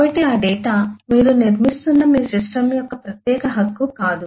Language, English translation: Telugu, so those data will not be the exclusive right of your system that you are building